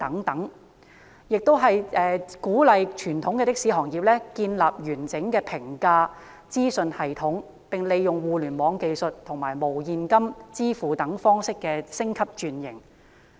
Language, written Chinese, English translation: Cantonese, 內地當局亦鼓勵傳統的士行業建立完整的評價資訊系統，以及利用互聯網技術和無現金支付方式等進行升級轉型。, The Mainland authorities also encourage the traditional taxi trade to establish a comprehensive information system for evaluating their services and to upgrade and transform the trade using Internet technology and cashless payment methods